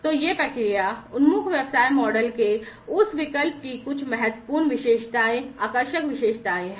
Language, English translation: Hindi, So, these are some of the important, you know, features attractive features of that option of process oriented business model